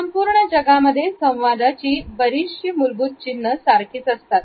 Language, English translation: Marathi, Most of a basic communication signals are the same all over the world